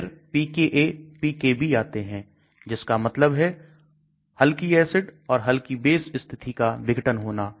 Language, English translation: Hindi, Then comes pKa/pKb, that means dissociation of mild acids and mild base conditions